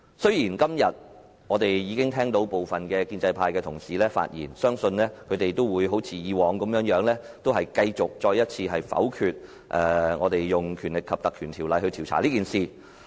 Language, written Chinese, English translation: Cantonese, 雖然今天我們已經聽到部分建制派同事發言，但相信他們都會像以往一樣，再次否決引用《條例》調查事件的議案。, I have listened to the speeches of some pro - establishment Members today but I believe that they will as they did in the past once again veto the motion to invoke the Ordinance to conduct an investigation